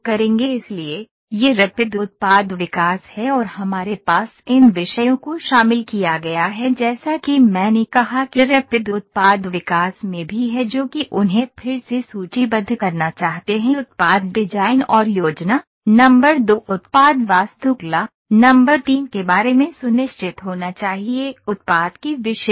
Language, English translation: Hindi, So, this is Rapid Product Development we have and we have covered these topics as I said also in Rapid Product Development that will just like to list them again one should be sure about the product design and planning, number two the product architecture, number three product specifications